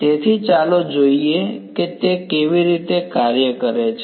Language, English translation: Gujarati, So, let us see how that works out